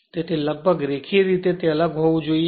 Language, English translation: Gujarati, So, almost linearly it should vary